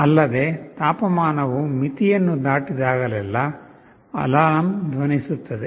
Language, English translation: Kannada, Also, whenever the temperature crosses a threshold, the alarm will sound